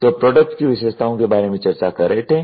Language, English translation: Hindi, So, product characteristics we were discussing